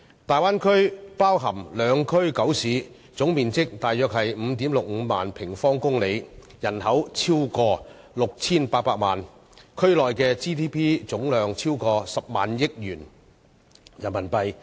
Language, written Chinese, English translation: Cantonese, 大灣區包含兩區九市，總面積約為 55,600 平方公里，人口超過 6,800 萬，區內的 GDP 總量超過10億元人民幣。, The Bay Area is made up of two special administrative regions and nine cities spanning an area of 55 600 sq km which houses more than 68 million people and generates a gross domestic output of more than RMB 1 billion